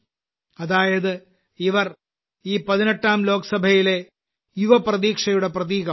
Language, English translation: Malayalam, That means this 18th Lok Sabha will also be a symbol of youth aspiration